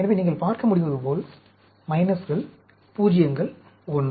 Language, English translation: Tamil, So, as you can see, minuses, zeros, 1